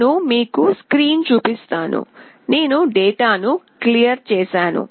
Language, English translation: Telugu, I will show you the screen, I have cleared out the data